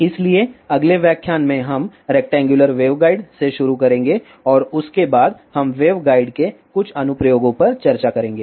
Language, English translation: Hindi, So, in the next lecture we will start from rectangular waveguide and after that; we will discuss some applications of the waveguides